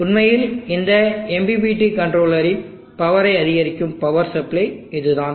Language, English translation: Tamil, It is actually the power supply that will be powering up this MPPT controller